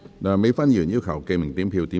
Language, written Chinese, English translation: Cantonese, 梁美芬議員要求點名表決。, Dr Priscilla LEUNG has claimed a division